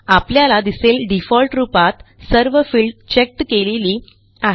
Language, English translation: Marathi, Notice that, by default, all of them are checked